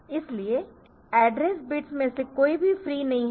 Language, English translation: Hindi, So, that is why none of the address bits are free